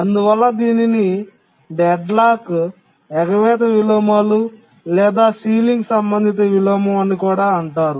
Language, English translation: Telugu, This is also called as deadlocked avoidance inversion or ceiling related inversion, etc